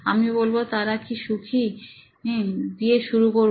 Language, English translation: Bengali, I would, say, start with, are they happy